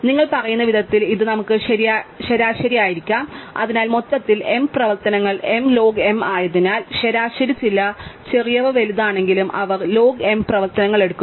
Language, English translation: Malayalam, So, this we can average out in a way you say that therefore, since where m operations in the total is m log m, even though some small some more big on an average, they take log m operations